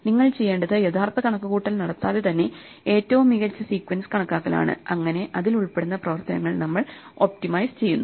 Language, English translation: Malayalam, And what you want to do is kind of calculate without doing the actual computation which is the best sequence and which to do this calculation, so that we optimize the operations involved